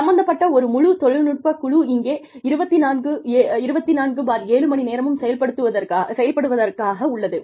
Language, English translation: Tamil, There is a whole technical team, involved, that are here, 24/7